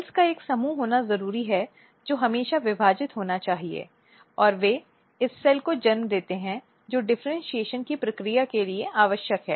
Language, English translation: Hindi, So, it is very important to have a group of cells which should always divide and they give rise to the cells which is required for the process of differentiation